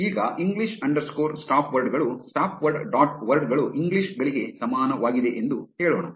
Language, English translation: Kannada, Now, let us say english underscore stopwords is equal to stopwords dot words english